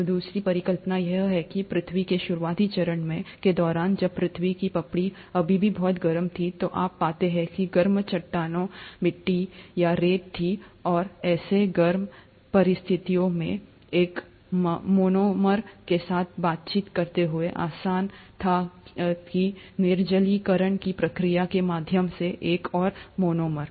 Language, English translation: Hindi, So the second hypothesis is that during the early phase of earth, when the earth’s crust was still very hot, you find that there were hot rocks, clay or sand, and under such hot conditions, it was very easy for one monomer to interact with another monomer, through the process of dehydration